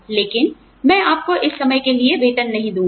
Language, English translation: Hindi, But, I will not pay you, for this time